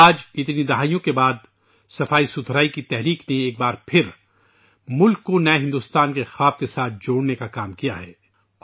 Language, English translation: Urdu, Today after so many decades, the cleanliness movement has once again connected the country to the dream of a new India